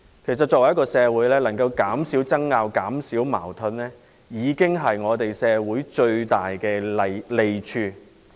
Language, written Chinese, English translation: Cantonese, 事實上，如果能夠減少爭拗和矛盾，對社會已是最大的利益。, In fact our society will benefit most if disputes and conflicts can be reduced